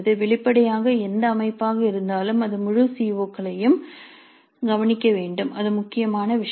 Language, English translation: Tamil, Obviously whatever be the structure it must address all the COs, that is important thing